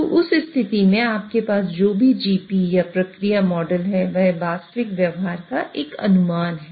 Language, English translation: Hindi, So in that case, whatever GP or the process model you have is sort of an approximation of the actual behavior